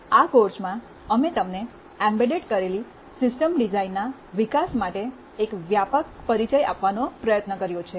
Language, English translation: Gujarati, In this course, we have tried to give you a broad introduction to hands on development of embedded system design